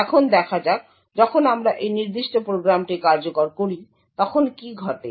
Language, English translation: Bengali, Now let us see what happens when we execute this particular program